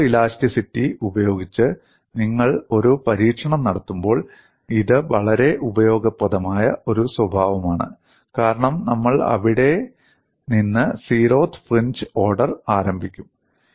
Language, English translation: Malayalam, And it is a very useful property when you do an experiment by photo elasticity, because we would start the zero eth fringe order from there